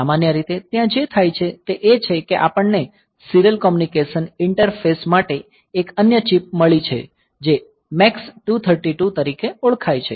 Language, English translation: Gujarati, So, normally what is done is that we have got a for serial communication interface we have got another chip which is known as MAX232